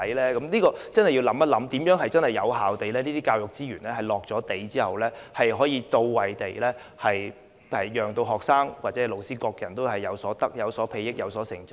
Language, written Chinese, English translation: Cantonese, 對於這點我們真的要想一想，在投放這些教育資源後，如何能做到資源到位之餘，也能讓學生、老師或各人均有所裨益和成長。, Regarding this point we really have to give some thought to how we can channel such educational resources once available to where they are needed so that they also stand students teachers or others in good stead for personal development